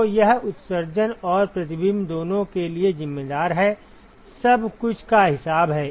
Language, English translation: Hindi, So, that accounts for both emission and reflection, everything is accounted